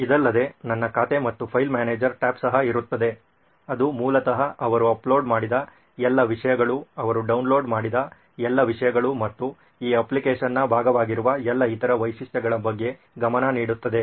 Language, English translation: Kannada, Other than that there will also be a my account and a file manager tab which basically keeps track of all the content that he has uploaded, all the content that he has downloaded and all the other features that are part of this application